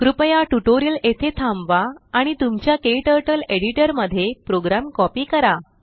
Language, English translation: Marathi, Please pause the tutorial here and copy the program into your KTurtle editor